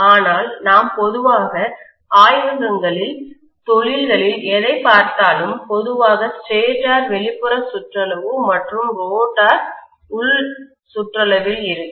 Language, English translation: Tamil, But whatever we normally see in the laboratories, see in the industries, normally the stator is outer periphery and rotor is going to be in the inner periphery